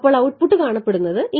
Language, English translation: Malayalam, So, there is how the output looks like